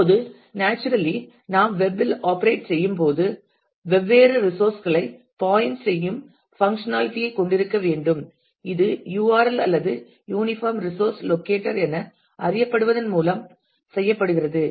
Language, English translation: Tamil, Now, naturally when we operate on the web we need to have the functionality of pointing to different resources and this is done by what is known as URL or uniform resource locator